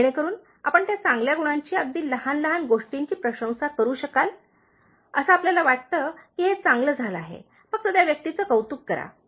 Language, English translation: Marathi, So that you can just appreciate those good qualities, even a small thing, you think that it’s done well, just appreciate the other person